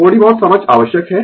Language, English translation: Hindi, Little bit understanding is required right